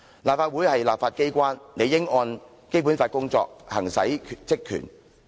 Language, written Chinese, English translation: Cantonese, 立法會是立法機關，理應按《基本法》工作，行使職權。, LegCo is the body tasked to enact legislation . It should undertake its work and perform its functions and power in accordance with the Basic Law